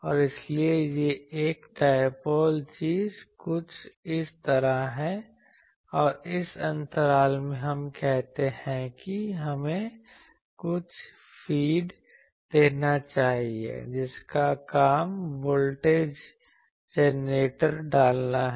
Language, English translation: Hindi, And so, a dipole is something like this, and there is this gap in this gap we put let us say a some feed whose job is to put the voltage generator